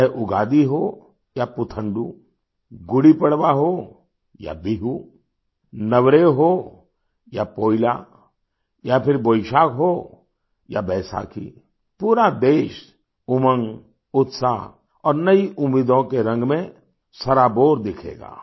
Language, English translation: Hindi, Be it Ugadi or Puthandu, Gudi Padwa or Bihu, Navreh or Poila, or Boishakh or Baisakhi the whole country will be drenched in the color of zeal, enthusiasm and new expectations